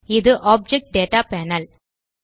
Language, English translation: Tamil, This is the Object Data panel